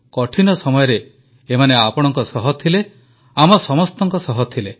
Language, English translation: Odia, During the moment of crisis, they were with you; they stood by all of us